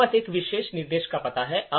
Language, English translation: Hindi, We have the address of this particular instruction